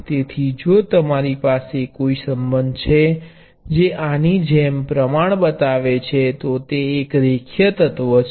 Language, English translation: Gujarati, So, if you have a relationship that shows proportionality like this it is a linear element